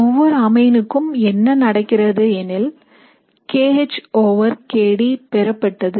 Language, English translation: Tamil, So if you use one particular amine you will get a particular kH over kD value